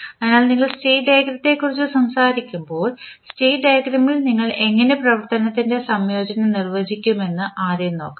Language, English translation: Malayalam, So, in this case when we talk about the state diagram let us first see how the integration of operation you will define in the state diagram